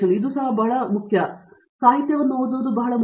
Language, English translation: Kannada, It is very important and reading up literature is very important